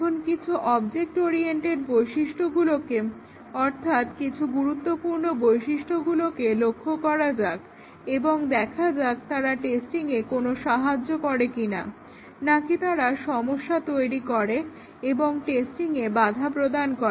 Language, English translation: Bengali, Now, let us look at some of the object oriented features important features and let us see whether they can help in testing or they create problems, hinder testing